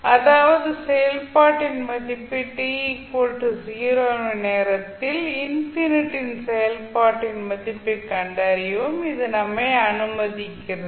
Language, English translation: Tamil, So that means this allow us to find the value of function at time t is equal to 0 and the value of function at infinity